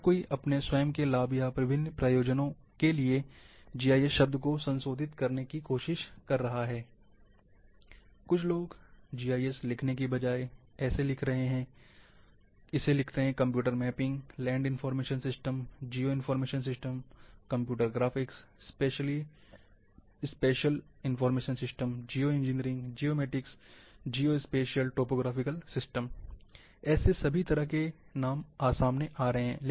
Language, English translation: Hindi, For some people are writing like, instead of writing GIS, they write like, Computer Mapping, Land Information Systems, Geo Information, Computer Graphics, Spatial Information System, Geo Engineering, Geomatics, Geo Spatial Topographic Systems, all kinds of names are coming